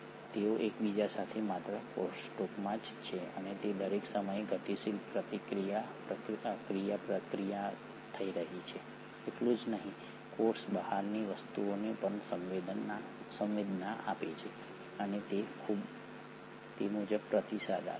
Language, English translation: Gujarati, Not only are they in crosstalk with each other and there is a dynamic interaction happening at all given points of time, the cell is also sensing things from outside and accordingly responding